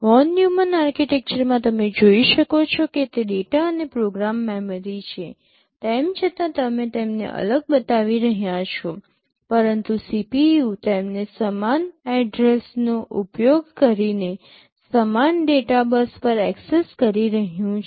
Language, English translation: Gujarati, In a Von Neumann architecture as you can see here are the data and program memory; although you are showing them as separate, but CPU is accessing them over the same data bus using the same address